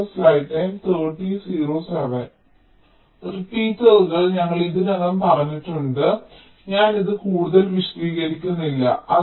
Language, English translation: Malayalam, repeaters already i have said so, i am not elaborating on this anymore